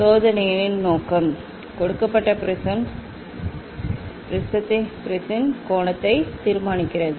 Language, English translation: Tamil, aim of the experiments determine the angle of the given prism